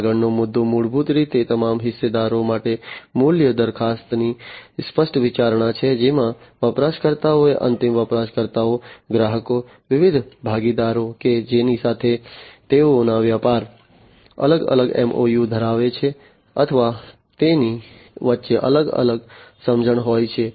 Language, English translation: Gujarati, The next one is basically the explicit consideration of the value proposition for all the stakeholders, which includes the users, the end users, the customers, the different partners with which the business you know they have different , you know, MOUs or they have different understanding between the different other businesses